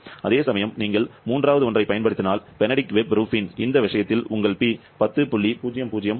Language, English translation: Tamil, 1% error whereas, if you use the third one; the Benedict Webb Rubin, then in this case your P will be coming to be 10